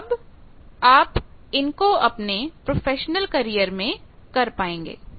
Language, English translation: Hindi, So, you will be able to do that in your professional career